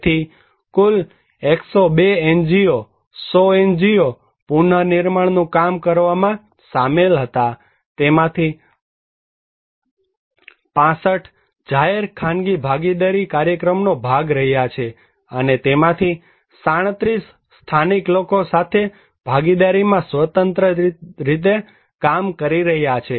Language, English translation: Gujarati, So, total 102 NGOs; 100 NGO’s were involved working on reconstructions, 65 of them have been a part of “public private partnership” program and 37 out of them is working as independently without much collaborations with the local people